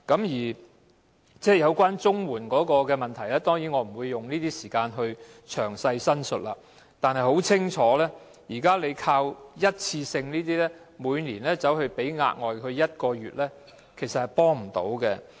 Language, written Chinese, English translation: Cantonese, 有關綜援的問題，當然我不會在此詳細講述；但情況很清楚，現時透過一次性紓困措施，每年額外發放1個月綜援的做法，其實並不能提供幫助。, Concerning CSSA I am not going to talk about it in detail here . But it is clear that the provision of an additional month of CSSA payment annually as a one - off relief measure is actually not helpful at all